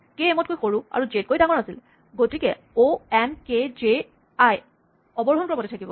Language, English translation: Assamese, k was smaller than m but bigger than j so, o n k j i remains in descending order